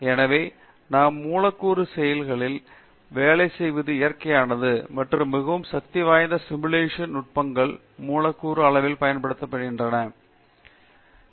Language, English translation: Tamil, So it is natural that we work on molecular scales and very powerful simulation techniques are being used at the molecular scale to understand material behavior and their processing